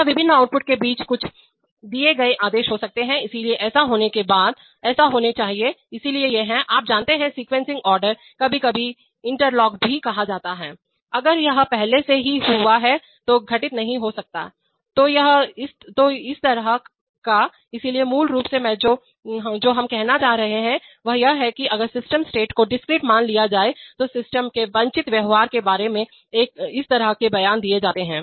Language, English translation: Hindi, Or there could be some given orders between various outputs, so after this occurred, that must occur, so these are, these are you know, sequencing orders, sometimes also called interlocks, if this has already occurred that cannot occur, so this kind of, so basically what I, what we are trying to say is that, if the system states are assumed to be discrete, this kind of statements are made about the desired behavior of the system